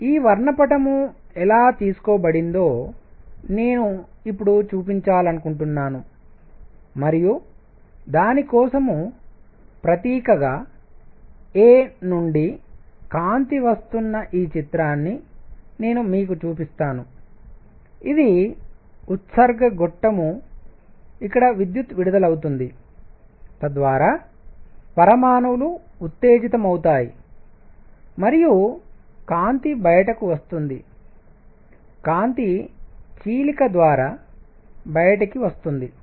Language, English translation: Telugu, So, what I want to show now how is this spectrum taken and for that symbolically, I show you this picture where the light is coming from a; this is discharge tube where electricity is discharged so that the atoms get excited and light comes out, the light is taken through a slit